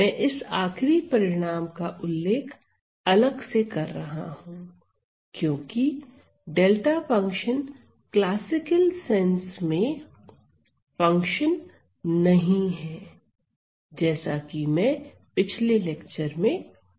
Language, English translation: Hindi, I introduce this last result separately because; delta function is not a function in the classical sense, as outlined it in my earlier lecture